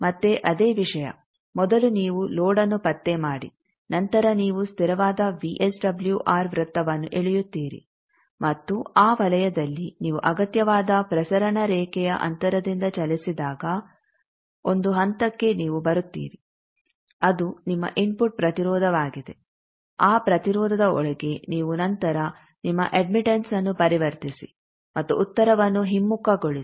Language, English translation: Kannada, Again the same think first you locate the load then you draw the constant VSWR circle and in that circle you moved by the requisite transmission line distance you will be arriving at a point that is your input impedance within that impedance you then need to convert you admittance and reverse the answer